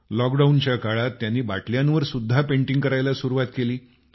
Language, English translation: Marathi, During the lockdown, she started painting on bottles too